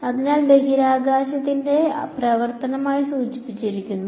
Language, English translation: Malayalam, So, that is why denoted as a function of space